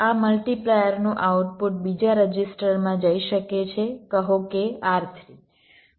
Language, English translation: Gujarati, the output of this multiplier can go to another register, say r three